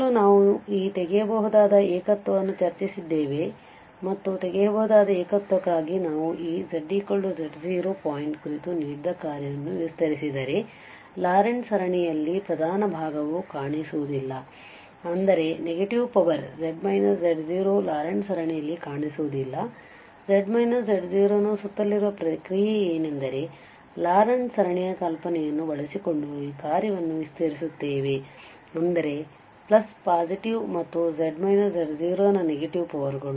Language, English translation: Kannada, So, the first we have discussed this removable singularity and for the removable singularity if we expand the given function about this z equal that z naught point then in the Laurent series the principal part will not appear that means the negative power of z minus z naught will not appear in the Laurent series and then we can so what is the process that around this z equal to z naught we will expand this function using this the idea of a Laurent series that means the plus positive and the negative powers of z minus z naught